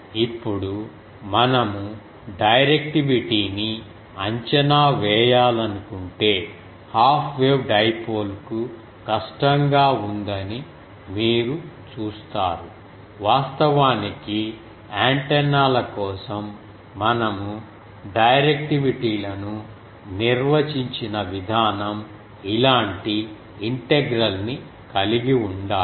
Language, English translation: Telugu, Now if we want to estimate the directivity it is difficult for half wave dipole you see that the actually, the way we defined directivities for antennas they are will have to have an integral something like this